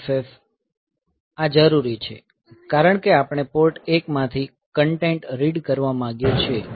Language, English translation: Gujarati, So, this is required because we want to read the content from Port 1